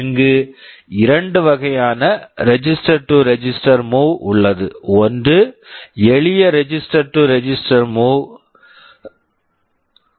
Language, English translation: Tamil, Here there are two kind of register to register move that are supported, one is a simple register to register move